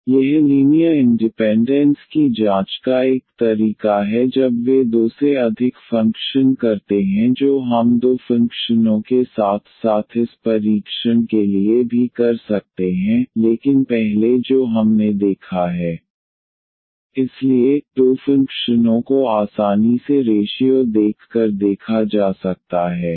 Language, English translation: Hindi, So, this is 1 way of checking linear independence when they are more than two functions we can do for the two functions as well this test, but the earlier one we have seen therefore, two functions one can easily see by taking the ratio of the two functions